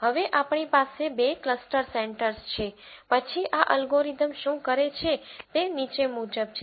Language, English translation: Gujarati, Now, that we have two cluster centres then what this algorithm does is the following